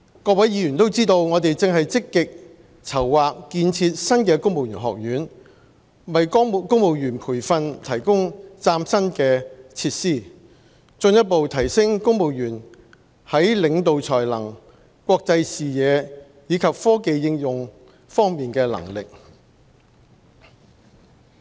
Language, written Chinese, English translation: Cantonese, 各位議員都知道，我們正積極籌劃建設新的公務員學院，為公務員培訓提供嶄新的設施，進一步提升公務員在領導才能、國際視野及科技應用方面的能力。, As Members are aware we are now proactively planning for the new civil service college to provide brand new facilities for civil service training and to further enhance the civil service in terms of leadership international perspectives and capability in technology application